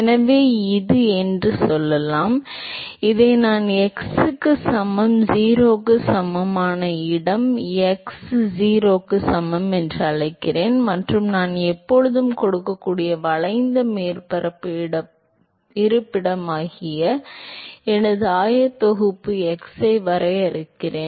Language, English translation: Tamil, So, let us say that this is the; let us say I call this as x equal to 0 a location x equal to 0 and I define my coordinates x as the curved surface location I can always give that